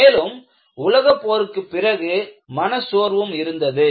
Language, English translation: Tamil, And, after the world war, there was also depression